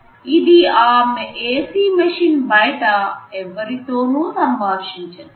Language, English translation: Telugu, It does not interact with anybody outside that AC machine